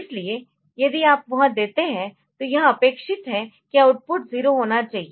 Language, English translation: Hindi, So, if you give that it is expected that the output should be 0